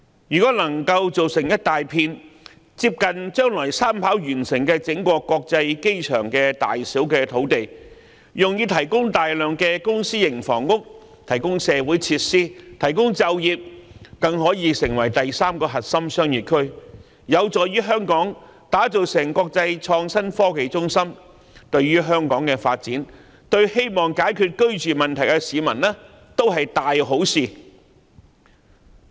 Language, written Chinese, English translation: Cantonese, 如果能夠造出一大片接近將來三跑完成的整個香港國際機場大小的土地，用以提供大量公私營房屋、社會設施和就業，該處更可以成為第三個核心商業區，這有助打造香港成為國際創新科技中心，對香港的發展，對希望解決居住問題的市民，也是一大好事。, The creation of a vast area of land comparable in size to that of the entire Hong Kong International Airport with the future third runway for providing many public and private residential units community facilities and employment opportunities and also for developing a third core business district will be favourable to Hong Kongs development into an international innovation and technology centre . This will likewise do much help to Hong Kongs development and those who want to resolve their housing problems